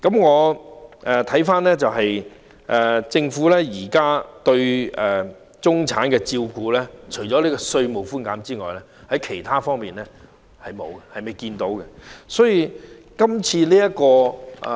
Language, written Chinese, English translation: Cantonese, 回顧政府現時對中產的照顧，除了稅務寬減外，在其他方面我們還未看到有何措施。, In terms of the Governments supporting measures to the middle class at present apart from tax concessions we fail to see any measure in other aspects